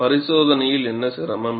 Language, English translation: Tamil, What is the difficulty in the experimentation